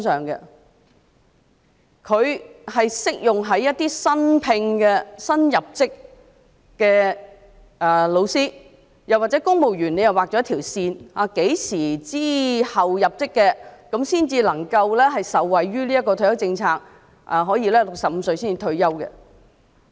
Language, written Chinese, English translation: Cantonese, 這政策只適用於新聘或新入職的教師，又或在公務員方面，政府也劃了一條線，指明何時之後入職的公務員才能受惠於這項退休政策，可以在65歲退休。, They are applicable only to new recruits or new teachers; and in respect of the civil service the Government has also drawn a line to stipulate that only those civil servants joining the Government after a specified date can benefit from this retirement policy and retire at 65